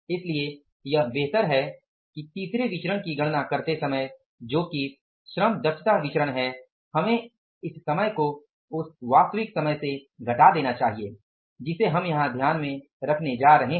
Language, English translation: Hindi, So better it is while calculating the third variance that is the labor efficiency variance we should subtract this time from the actual time we are going to take into account here